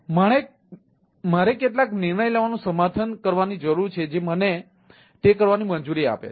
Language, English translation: Gujarati, so i need to have a some sort of a decision making ah support which allows me to do that